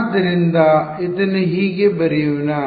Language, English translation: Kannada, So, let us write this how